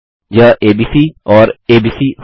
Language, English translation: Hindi, This will be abc and abc